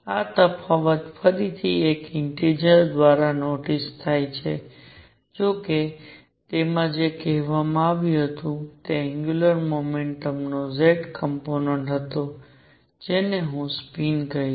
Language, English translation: Gujarati, This difference again notice is by one integer; however, what it said was that z component of angular momentum which I will call spin